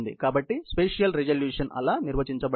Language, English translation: Telugu, So, that is how the spatial resolution is defined